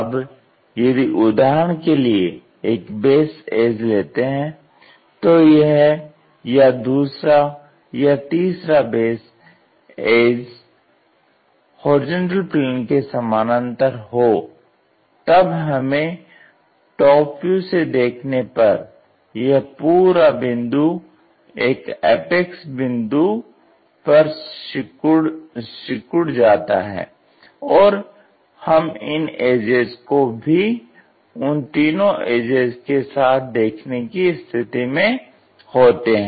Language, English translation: Hindi, Now, if one of the base edges for example, maybe this one or this one or the other one, one of the base edges parallel to; when we are looking from top view this entire point shrunk to this single point apex and we will be in the position to see this edges also those three edges